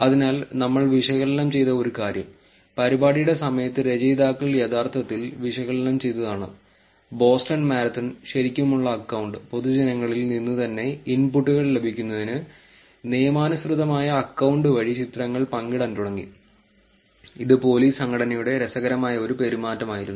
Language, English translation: Malayalam, So, one of the things that we actually analyzed, the authors actually analyzed during the event was that Boston marathon, the legitimate account started sharing pictures through the legitimate account to get inputs from the public itself which was an interesting behaviour by the police organisation